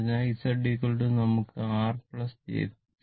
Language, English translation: Malayalam, So, Z is equal to we can write R plus j 0 right